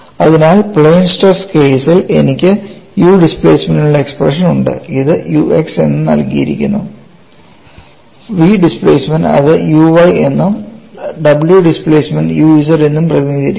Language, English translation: Malayalam, So, for the plane stress case, I have the expression for u displacement which is given as u x; v displacement, it is represented as u y, and w displacement, it is represented as u z